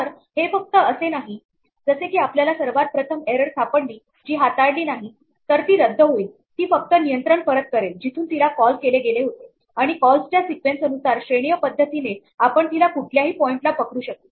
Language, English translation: Marathi, So, it is not as though the very first time we find an error which is not handled it will abort it will merely pass control back to where it was called from and across the sequence of calls hierarchically we can catch it at any point